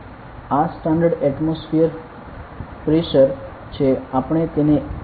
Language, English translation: Gujarati, So, this is the standard atmospheric pressure